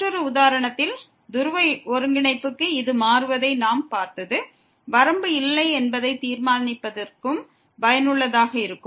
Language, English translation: Tamil, In another example what we have seen this changing to polar coordinate is also useful for determining that the limit does not exist